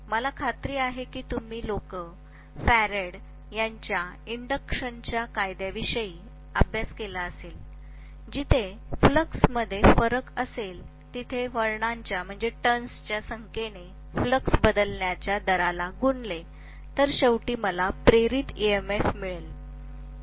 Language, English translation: Marathi, I am sure you guys have studied about Faraday’s law of induction where if I have a variation in the flux, the rate of change of flux multiplied by the number of turns actually gives me ultimately whatever is the EMF induced